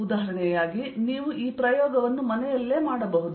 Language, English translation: Kannada, as an example, you can do this experiment at home